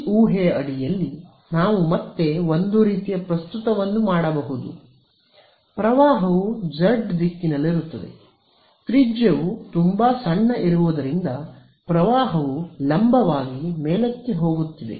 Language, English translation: Kannada, Under this assumption, we can again a sort of make a claim that the current is going to be z directed right; the current was going to go be going vertically up because the radius is very small